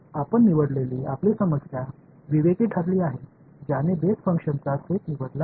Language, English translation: Marathi, You chose you took your problem discretized it chose a set of basis functions